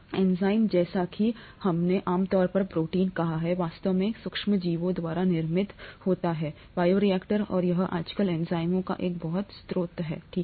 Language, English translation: Hindi, Enzymes, as we said usually proteins, are actually produced by microorganisms in bioreactors and that is pretty much a source of enzymes nowadays, okay